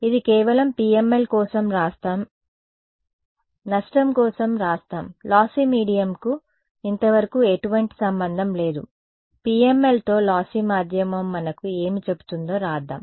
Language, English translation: Telugu, So, this is for let us just write it this is for PML ok, let us write down for lossy; lossy medium has no relation so, far with PML right let just write down what the lossy medium says for us